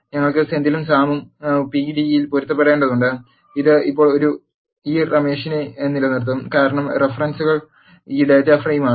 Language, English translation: Malayalam, We have Senthil and Sam there are matching in the pd also and it will keep this Ramesh now, because the references is this data frame